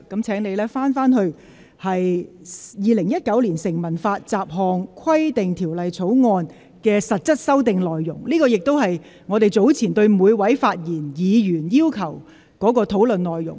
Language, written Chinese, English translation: Cantonese, 請你返回辯論的議題，即《2019年成文法條例草案》的實質修訂內容，而這亦是本會早前要求每位議員在發言時應針對的內容。, Please return to the subject of the debate ie . the substance of the amendments in the Statute Law Bill 2019 which is also what each Member was earlier requested to focus on in their speech in this Council